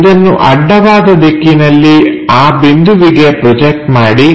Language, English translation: Kannada, So, project this horizontally on to that point